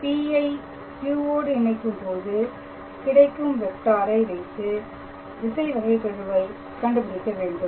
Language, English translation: Tamil, And the vector which you obtain by joining P to Q along which we have to calculate the directional derivative